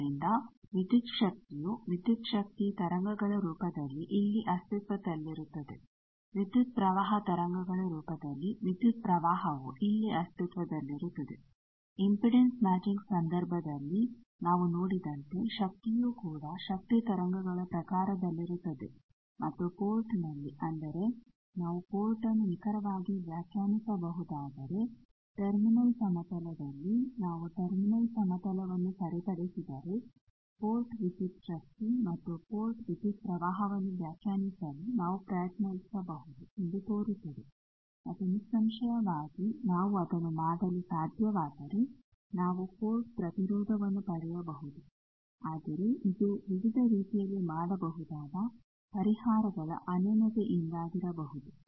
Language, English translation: Kannada, So, voltage in the form of voltage waves will exist here, current in the form of current waves will exist here, power also we prescribe in terms of power waves as we have seen in the case of impedance matching we have shown power waves and at the port, if we very precisely can define ports that means, on a terminal plane if we fix the terminal plane then it appears that we can have a try to define port voltage and port current and obviously, if we can do that we can get port impedance, but it can be due to the non uniqueness of the solutions it can be done in various ways